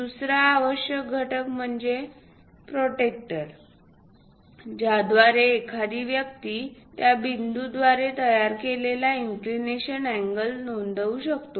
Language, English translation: Marathi, The other essential component is protractor through which one can note the inclination angle made by that point